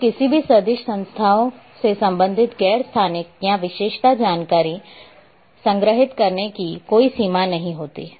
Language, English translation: Hindi, So, there is no limitation of storing non spatial or attribute information related with any vector entities